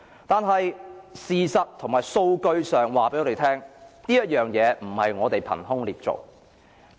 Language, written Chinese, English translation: Cantonese, 但事實及數據告訴我們，對警隊的批評不是我們憑空捏造。, However the criticisms are not unfound accusations and are rather backed by facts and statistics